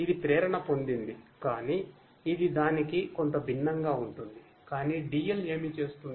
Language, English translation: Telugu, It is inspired, but is it its bit different, but what DL does